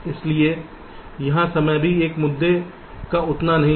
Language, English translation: Hindi, so here time is also not that much of an issue